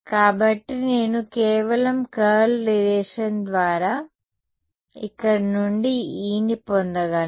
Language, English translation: Telugu, So, I can get E from here by simply the curl relation right